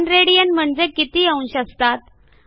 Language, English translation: Marathi, What is the value of 1 rad in degrees